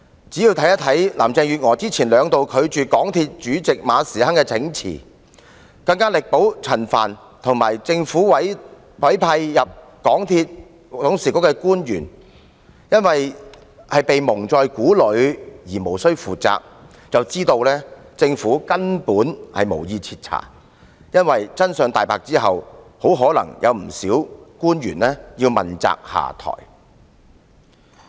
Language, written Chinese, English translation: Cantonese, 只要看看林鄭月娥之前兩度拒絕港鐵公司主席馬時亨請辭，更力保陳帆和政府委派到港鐵公司董事局的官員——因為他們被蒙在鼓裏便無需負責——便知道政府根本無意徹查，因為真相大白後很可能有不少官員要問責下台。, Carrie LAM refused to accept the resignation tendered by Frederick MA Chairman of MTRCL on two occasions and she fully supported Frank CHAN as well as other officials appointed by the Government to serve on MTRCLs Board of Directors saying that they should not be held responsible as they had been kept in the dark . We can see that the Government does not intend to conduct a thorough investigation as quite a number of officials might be held accountable and they will have to step down once the truth comes to light . Carrie LAM is very good at pretending to work